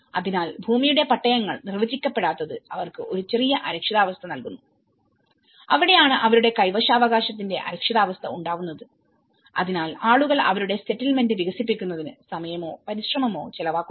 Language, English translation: Malayalam, So, the moment land titles are not defined that gives a little insecurity for them and that is where their insecurity of tenure, people spend no time or effort in developing their settlement